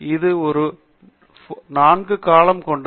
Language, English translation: Tamil, It has 4 columns